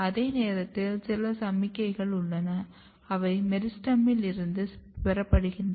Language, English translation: Tamil, At the same time what is happening that, there are some signals, which is derived from the meristem